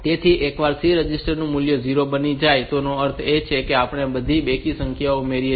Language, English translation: Gujarati, So, once this C register value becomes 0; that means, we have added all the even numbers